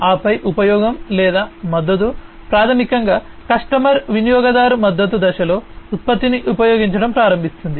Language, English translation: Telugu, And then use or support is basically the customer basically starts to use the product in the user support phase